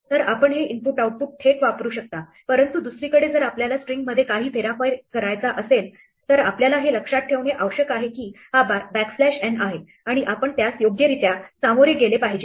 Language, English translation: Marathi, So, you can use this input output directly, but on the other hand, if you want to do some manipulation of the string then you must remember this backslash n is there and you must deal with it appropriately